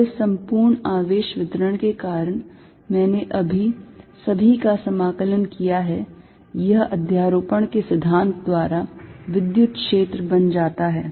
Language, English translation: Hindi, And due to this entire charge distribution, I just integrated all, this becomes the electric field by principle of super position